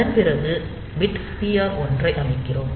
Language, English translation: Tamil, So, after that we set bit TR 1